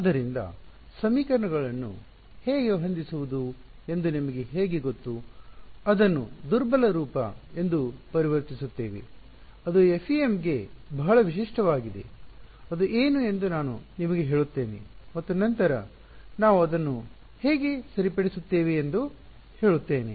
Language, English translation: Kannada, So, we will work through how do we you know setup the equations, convert it into something called a weak form, which is very characteristic to FEM, I will tell you what that is and then how do we solve it ok